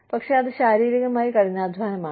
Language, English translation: Malayalam, But, it is physical hard labor